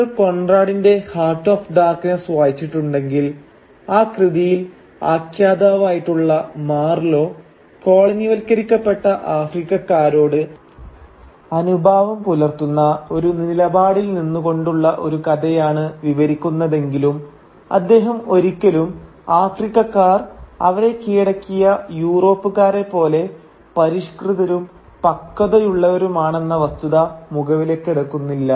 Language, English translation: Malayalam, Now if you read Conrad’s Heart of Darkness, we will see that though in the text the narrator Marlow relates a story from a position that is apparently sympathetic to the colonised Africans, he never takes into account the fact that Africans too, like the Europeans who conquered them, are civilised and mature human beings